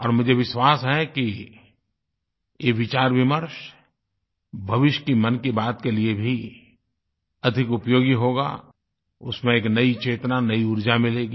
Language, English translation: Hindi, And I am sure that this brainstorming could be useful for Mann Ki Baat in future and will infuse a new energy into it